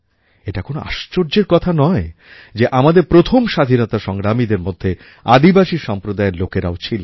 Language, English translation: Bengali, There is no wonder that our foremost freedom fighters were the brave people from our tribal communities